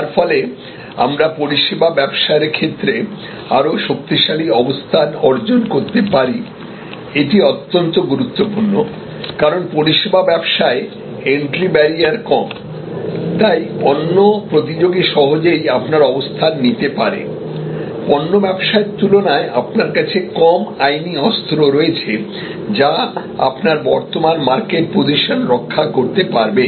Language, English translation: Bengali, So, that we can acquire a stronger and stronger position in the services business, this is very important, because in services business barrier to entry is low, another competitor can easily take your position, unlike in product business there are fewer legal weapons that you have to protect your current market position